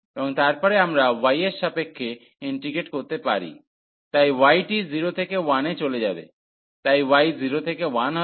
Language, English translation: Bengali, And then we can integrate with respect to y, so the y will go from 0 to 1, so y will be from 0 to 1